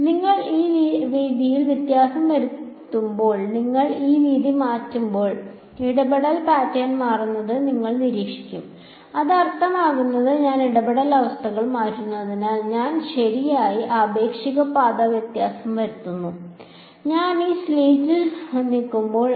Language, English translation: Malayalam, So, as you vary this width that is the other thing you will observe, as you vary this width you will observe that the interference pattern changes and that makes sense because I am changing the interference condition, I am right the relative path difference is changing as I move this slit away